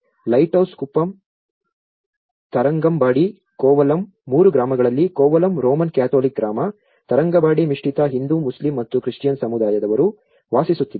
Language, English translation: Kannada, Lighthouse kuppam, Tharangambadi, Kovalam in all the three villages Kovalam is a Roman Catholic village, Tharangambadi is a mix like which is a Hindu, Muslim and Christian community lives there